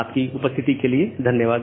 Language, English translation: Hindi, Thank you all for attending this class